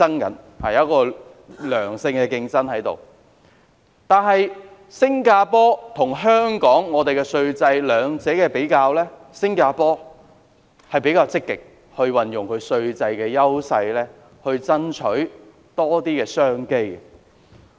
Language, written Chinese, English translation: Cantonese, 我們如果比較香港和新加坡兩地的稅制，會發現新加坡比較積極運用稅制的優勢，以爭取更多商機。, If we compare the tax regime between Hong Kong and Singapore we will realize that Singapore actively capitalizes on its tax regime to strive for more business opportunities